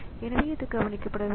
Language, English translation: Tamil, So, that has that is not done